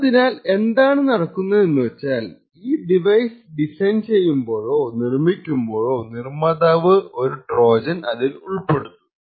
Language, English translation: Malayalam, Now what could happen is during the design or manufacture of this particular device, developer could insert a hardware Trojan